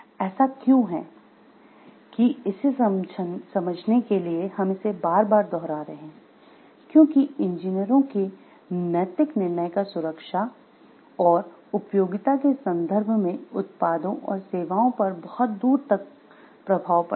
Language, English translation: Hindi, Because, why this is why we are repeating about it to understand, because engineers ethical decision has a far reaching impact on the products and services in terms of safety and utility